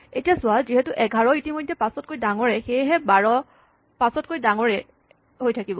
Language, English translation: Assamese, Now, notice that because 11 was already bigger than 5, 12 will remain bigger than 5